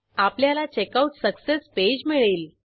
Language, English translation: Marathi, We get the Checkout Success Page